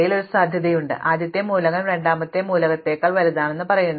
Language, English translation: Malayalam, But, there is a commonalty between these, which says that the first element is bigger than the second element